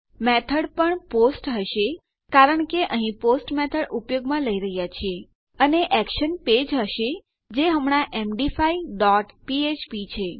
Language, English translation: Gujarati, Method is also going to be POST because were using the post method up here And the action is going to be my page that is currently on which is MD5 dot php